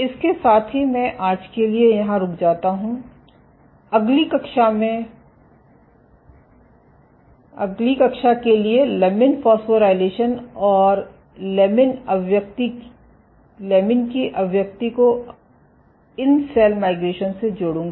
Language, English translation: Hindi, With that I stop here for today, in the next class I will connect these observations of lamin phosphorylation and lamin expression to how these effects cell migration